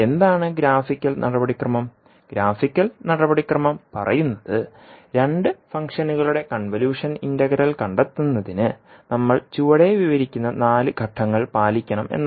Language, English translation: Malayalam, What is the graphical procedure, graphical procedure says that the four steps which we are describing below will be followed to find out the convolution integral of two functions